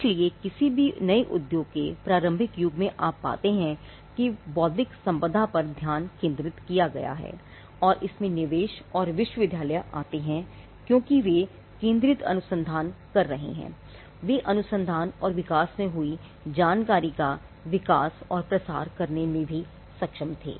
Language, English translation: Hindi, So, in the initial age of any new industry you find that there is a focus on intellectual property so, that brings investments and universities because they were doing focused research, they were also able to develop and disseminate information of the research and development that happened